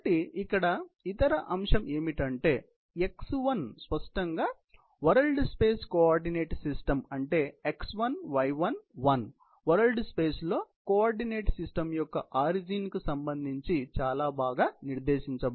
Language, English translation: Telugu, So, the other aspect here; x1 is obviously, the coordinate system in the world space; that is x1, y1, 1, which is being read out very well, with respect to the origin of the world space